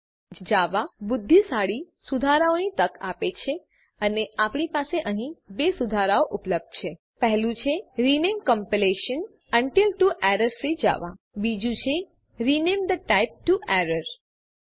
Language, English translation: Gujarati, Eclipse offers intelligent fixes and we have 2 fixes available here The first one is rename compilation unit to errorfree java The second one is rename the type to errorfree